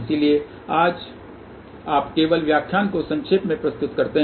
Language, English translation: Hindi, So, just you summarize today's lecture